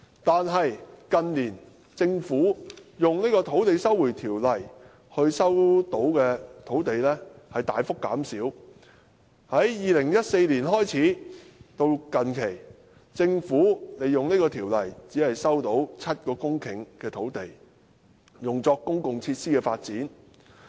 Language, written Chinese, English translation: Cantonese, 但近年，政府卻說引用《收回土地條例》收回的土地大幅減少，在2014年開始至近期，政府引用這條例，只收回7公頃土地，用作公共設施的發展。, Nevertheless in recent years the Government has been saying that the number of land slots resumed under the Lands Resumption Ordinance has decreased drastically . In the period from early 2014 to the very recent past the Government could resume only 7 hectares of land under the Lands Resumption Ordinance for the development of public facilities